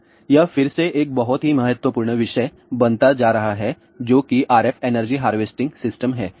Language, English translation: Hindi, Then, this is the again a becoming a very very important topic which is a RF energy harvesting system